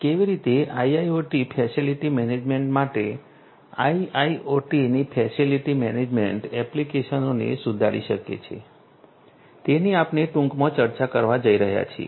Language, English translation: Gujarati, So, how IIoT can improve facility management applications of IIoT for facility management is what we are going to discuss briefly